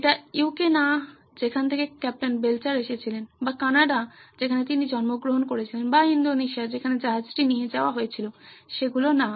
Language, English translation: Bengali, It was not the UK where Captain Belcher was from or Canada where he was born or Indonesia where the ship was taken